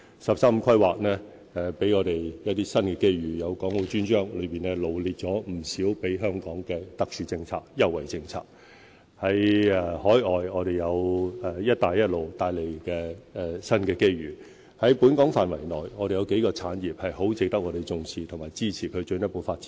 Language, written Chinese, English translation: Cantonese, "十三五"規劃給予我們一些新機遇，有《港澳專章》臚列不少給予香港的特殊政策及優惠政策；在海外，我們有"一帶一路"帶來的新機遇；在本港範圍內，我們有幾個產業很值得重視和支持，以作進一步發展。, In the National 13 Five - Year Plan which gives us new opportunities the Dedicated Chapter on Hong Kong and Macao has listed a number of special and preferential policies for Hong Kong; in countries abroad there are new opportunities brought by the Belt and Road Initiative; in Hong Kong there are a number of industries worth our attention and support for further development